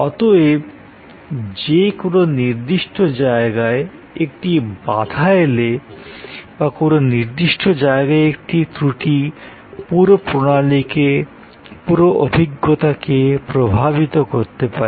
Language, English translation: Bengali, Therefore, a jam at any particular point, a malfunction at any particular point can affect the whole flow, the whole experience